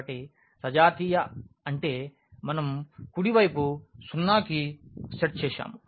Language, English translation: Telugu, So, homogeneous means the right hand side we have set to 0